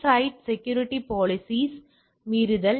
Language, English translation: Tamil, Goal, violate the site security policies